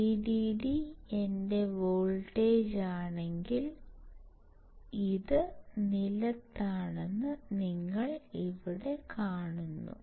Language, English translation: Malayalam, So, you see here that if vdd is my voltage this is ground